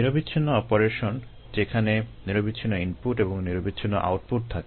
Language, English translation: Bengali, continuous operation, where there is a continuous input and a continuous output